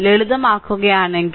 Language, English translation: Malayalam, So, if you simplify